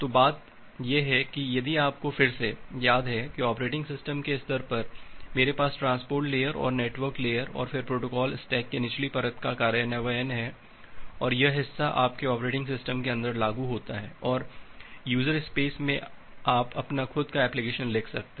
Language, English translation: Hindi, So, the thing is that if you again remember that at the operating system level, I have the implementation of the transport layer and then the network layer and then the lower layer of the protocol stack and this part is implemented in your inside your operating system and in the userspace you can write your own application